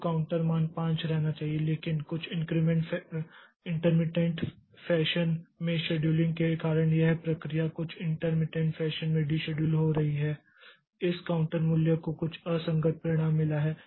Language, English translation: Hindi, So, the counter value should remain at 5 but due to this scheduling in some intermittent fashion, intermary so the processes getting deciduled in some intermittent fashion this counter value has got some inconsistent result